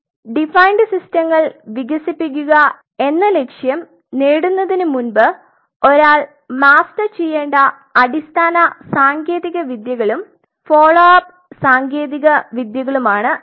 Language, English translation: Malayalam, So, these are the basic technologies and the follow up technologies what one has to master before you achieve the goal of developing the defined systems